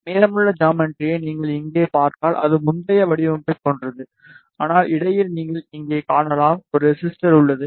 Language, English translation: Tamil, If you see here rest of the geometry whatever you see it is similar to the previous design, but in between you can see here one resistor is there